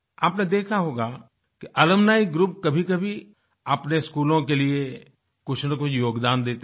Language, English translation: Hindi, You must have seen alumni groups at times, contributing something or the other to their schools